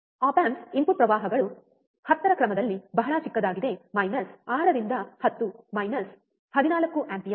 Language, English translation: Kannada, Op amps the input currents are very small of order of 10 is to minus 6 to 10 is to minus 14 ampere